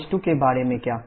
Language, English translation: Hindi, What about h2